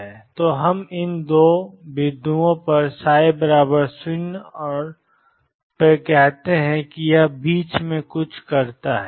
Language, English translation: Hindi, So, let us say psi is 0 and psi is 0 at these two points and then it does something in between